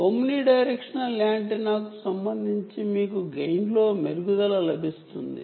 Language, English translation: Telugu, and therefore, with respect to the omni directional antenna, what is the additional gain